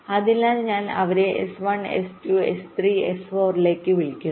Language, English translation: Malayalam, so i call them s one, s two, s three and s four